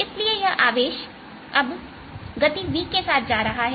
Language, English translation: Hindi, so this charge now is moving with speed b, with velocity v